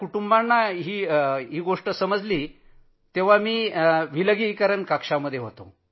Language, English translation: Marathi, When the family first came to know, I was in quarantine